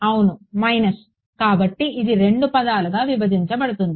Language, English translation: Telugu, Minus right; so, this will split into two terms